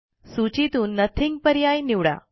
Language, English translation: Marathi, Select Nothing from the list